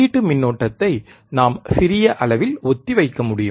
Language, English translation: Tamil, We can dieffer the input current by small amount